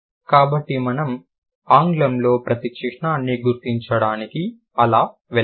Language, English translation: Telugu, So, that is how we have got to recognize each of the symbols in English